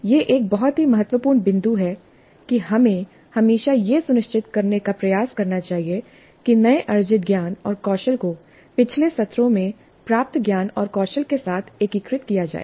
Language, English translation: Hindi, This is a very important point that we should always try to ensure that the newly acquired knowledge and skills are integrated with the knowledge and skills acquired in earlier sessions